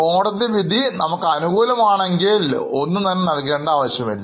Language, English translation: Malayalam, If court gives decision in our favor, we may not have to pay